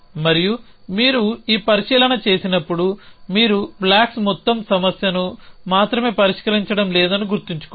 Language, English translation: Telugu, And when you make this observation you must keeping mind that you are not solving the only the blocks whole problem